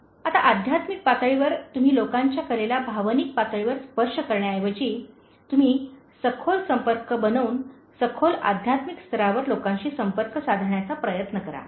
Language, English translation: Marathi, Now at the spiritual level, you should also make deeper connections, apart from touching people’s art at the emotional level, try to connect to people at a deeper spiritual level